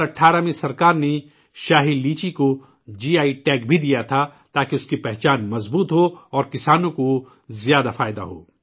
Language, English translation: Urdu, In 2018, the Government also gave GI Tag to Shahi Litchi so that its identity would be reinforced and the farmers would get more benefits